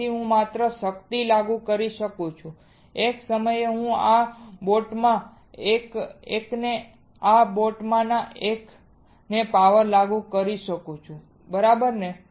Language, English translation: Gujarati, So, I can only apply power I can only apply power at a time to one of this boat to one of this boat, right